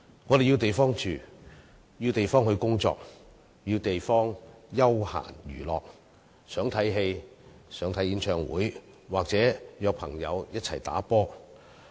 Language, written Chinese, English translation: Cantonese, 我們需要地方居住、需要地方工作、需要地方作休閒娛樂：想看戲、看演唱會或約朋友一起打球。, We need places to live places to work and places for entertainment such as places to watch a movie attend a concert or play sports with friends